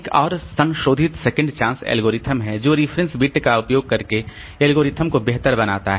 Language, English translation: Hindi, There is another enhanced second chance algorithm that improves the algorithm by using reference bit and modify bit in concert